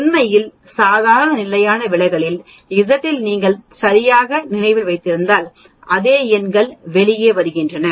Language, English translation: Tamil, In fact, if you remember exactly in the z in the normal standard deviation also we had the same numbers coming out